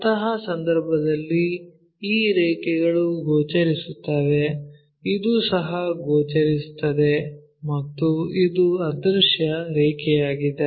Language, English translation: Kannada, In that case these lines will be visible this one also visible and this one is invisible line